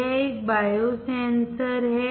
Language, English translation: Hindi, This is a bio sensor